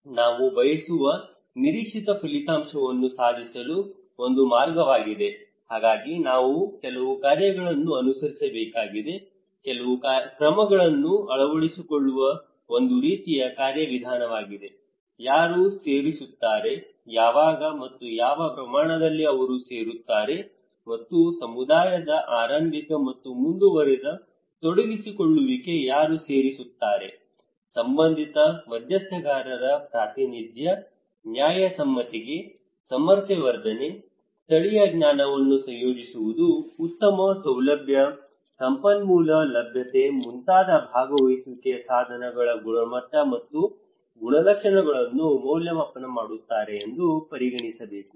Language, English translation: Kannada, This is a pathway to achieve the expected outcome that I want to go there, so I have to follow some functions, some steps some measures is a kind of mechanism to adopt who will add, who will join, when and what extent he will be joining and evaluate the quality and characteristics of the means of participations like early and continued engagement of the community, representation of relevant stakeholders, fairness, capacity building, incorporating local knowledge, good facilitation, resource availability these should be considered as participatory